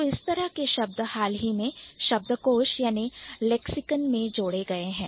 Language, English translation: Hindi, So, these, so the words like this, they have been recently added to the lexicon